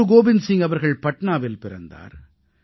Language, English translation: Tamil, Guru Gobind Singh Ji was born in Patna